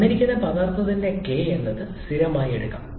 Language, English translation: Malayalam, For a given substance, k can be taken as a constant